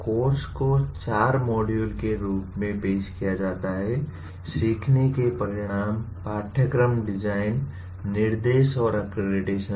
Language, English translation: Hindi, The course is offered as 4 modules, learning outcomes, course design, instruction, and accreditation